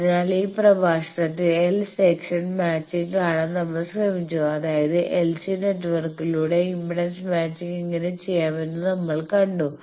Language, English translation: Malayalam, So, in this lecture we have tried to see the l section matching that means, by l c network how to do the impedance matching